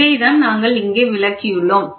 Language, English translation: Tamil, So, that is what we have represented in this diagram